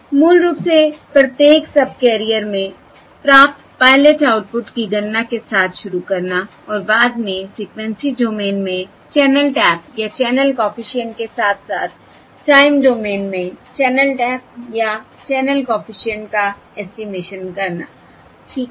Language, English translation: Hindi, alright, Starting with basically computing the pilot outputs received across each subcarrier and subsequently estimating the channel taps or the channel coefficient in the frequency domain as well as the channel coefficient or the channel taps in the time domain